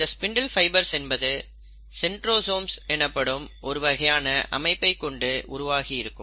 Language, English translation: Tamil, The spindle fibres are basically a set of structures which are formed by what is called as the centrosome